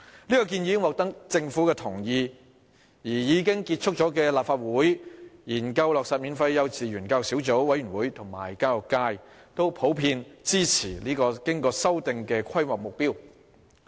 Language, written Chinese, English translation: Cantonese, 這項建議已經獲得政府同意，而已經結束運作的立法會"研究落實免費幼稚園教育小組委員會"和教育界都普遍支持經修訂的規劃目標。, This proposal was already accepted by the Government and the Subcommittee to Study the Implementation of Free Kindergarten Education of the Legislative Council that had ceased operation and the education sector generally support the revised planning target